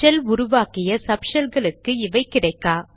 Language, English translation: Tamil, These are not available in the subshells spawned by the shell